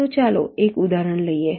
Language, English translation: Gujarati, lets take a specific example